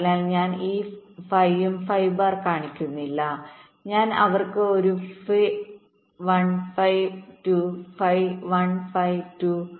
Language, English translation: Malayalam, like i am not showing this phi and phi bar, i am showing them a phi one and phi two, phi one and phi two